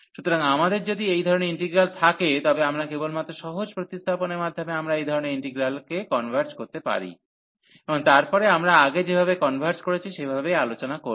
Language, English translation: Bengali, So, if we have this type of integrals, we can just by simple substitution, we can converge into this type of integral, and then discuss the convergence the way we have discussed earlier